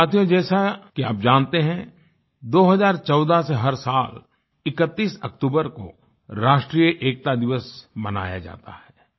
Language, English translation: Hindi, Friends, as you know that 31st October every year since 2014 has been celebrated as 'National Unity Day'